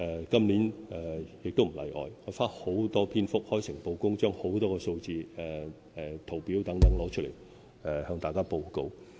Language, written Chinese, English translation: Cantonese, 今年亦不例外，我花了大量篇幅，開誠布公地提供很多數字、圖表等，向大家報告。, This year is no exception . I have addressed the problem in detail and frankly provided many figures tables etc . in my address